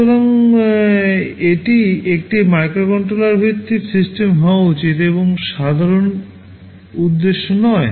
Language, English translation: Bengali, So, it should be a microcontroller based system and not general purpose